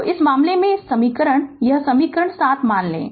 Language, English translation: Hindi, So, in this case, you assume the this equation, this equation 7 right